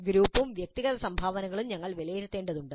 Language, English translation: Malayalam, And we also need to assess group as well as individual contributions that needs to be assessed